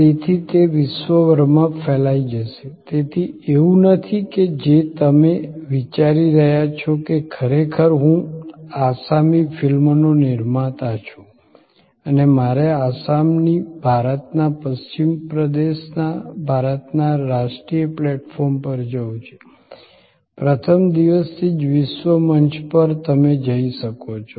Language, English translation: Gujarati, So, it will spread around the globe, so it is not that you are thinking of that I am actually a producer of Assamese films and I have to go from Assam to Western region of India to the national platform of India, you can go to the world stage right from day 1